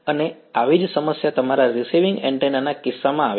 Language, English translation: Gujarati, And similar problem comes in the case of your receiving antenna right